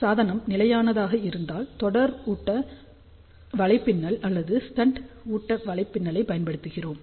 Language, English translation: Tamil, If the device is stable in that particular case we use either series feed network or shunt feed network